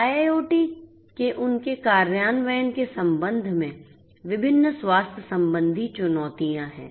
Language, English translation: Hindi, There are different healthcare challenges with respect to their implementation of IIoT